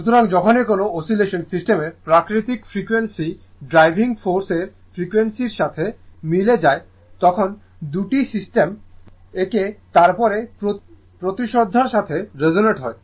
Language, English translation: Bengali, So, whenever the nat if the natural frequency of the oscillation of a system right if it coincide with the frequency of the driving force right then the 2 system resonance with respect to each other